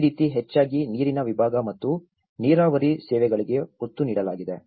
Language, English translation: Kannada, This is how mostly emphasized on the water segment and the irrigation services as well